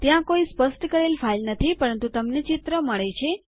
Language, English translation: Gujarati, Theres no file specified, but you get the picture